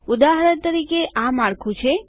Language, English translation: Gujarati, For example this is the structure